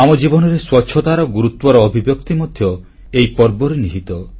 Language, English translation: Odia, The expression of the significance of cleanliness in our lives is intrinsic to this festival